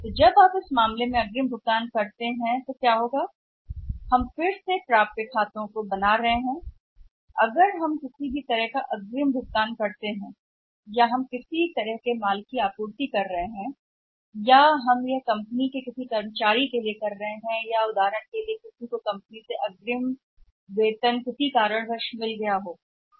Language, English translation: Hindi, So, when you make that advance payment in that case what happens we are again creating the accounts receivable any kind of advance payment whether we are making supplies material whether we are making it to the employees of the company for example somebody's say has got the advance salary from the company because of certain reason